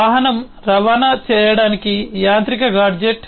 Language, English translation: Telugu, a vehicle is a mechanised gadget to transport